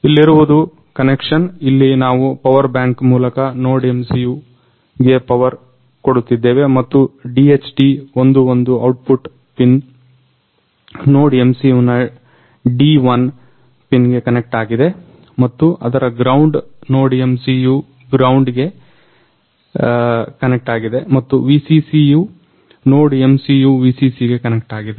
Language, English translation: Kannada, So, here it is a connection here we are powering in NodeMCU through the power bank and DHT11 output pin is connected to the D1 pin of NodeMCU and its ground connected to the ground of NodeMCU and VCC connected to the VCC of NodeMCU